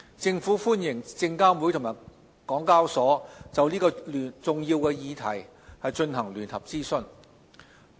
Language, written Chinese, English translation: Cantonese, 政府歡迎證監會與港交所就這個重要的課題進行聯合諮詢。, The Government welcomes SFC and HKExs joint consultation on such an important issue